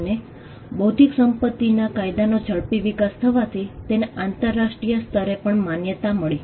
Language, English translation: Gujarati, And this coincides with the rapid development of intellectual property law, and it is a recognition in the international sphere